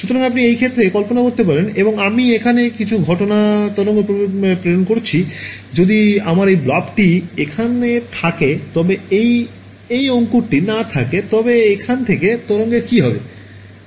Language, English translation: Bengali, So, you can imagine in this case and I am sending some incident wave over here if this I have this blob over here, if this blob were not there what would happen to the wave from here